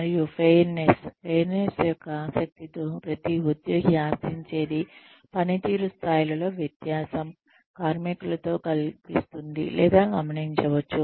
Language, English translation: Telugu, And, fairness, in the interest of fairness, every employee expects, that the difference in performance levels, across workers are seen or observed